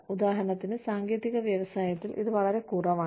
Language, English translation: Malayalam, For example, in the technology industry, is very less